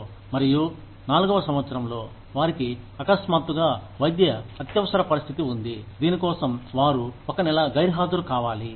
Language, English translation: Telugu, And, in the fourth year, they suddenly have a medical emergency, for which, they need to be absent for a month